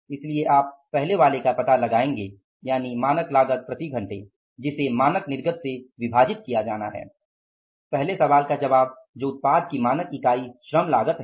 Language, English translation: Hindi, So, you will find out the first, the answer to the first question that is the standard unit labor cost of the product